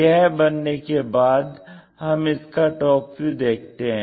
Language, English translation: Hindi, Because we are viewing it from the top view